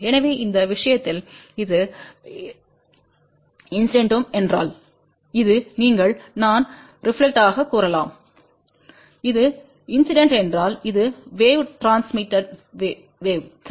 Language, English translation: Tamil, So, in this case if this is incident this is you can say reflected and if this is incident this can be transmitted wave, ok